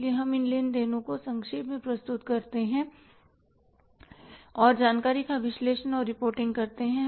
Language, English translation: Hindi, So, we summarize these transactions and analyzing and reporting information